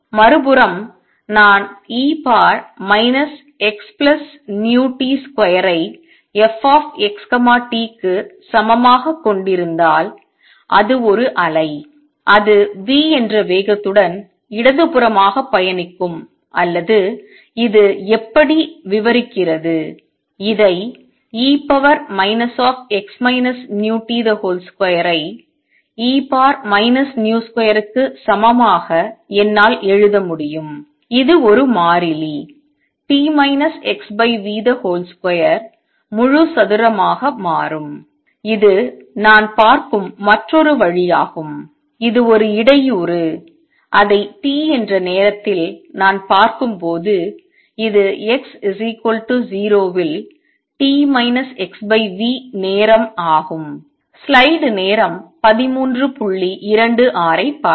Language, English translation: Tamil, If on the other hand, if I had e raise to minus x plus v t square is equal to f x t it will be a wave which will be traveling to the left with speed v or this is how describes it, I could also write this as thus e raise to minus x minus v t square as equal to e raise to minus v square which becomes a constant t minus x over v whole square which is another way of looking at it that this is a disturbance that I am seeing at time t, this is what it was t minus x over v time at x equals to 0